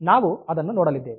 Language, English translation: Kannada, So, we will see that